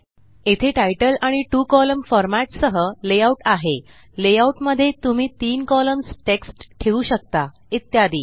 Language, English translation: Marathi, There are layouts with titles and two columnar formats, layouts where you can position text in three columns and so on